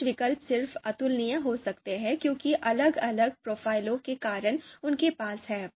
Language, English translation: Hindi, So some alternatives might be you know might be incomparable just because due to different profiles that they have